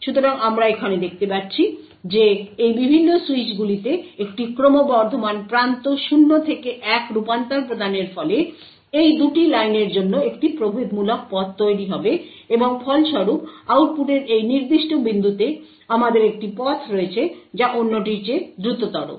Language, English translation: Bengali, So thus we see over here that providing a rising edge 0 to 1 transition to these various switches would result in a differential path for these 2 lines and as a result, at the output at this particular point we have one path which is faster than the other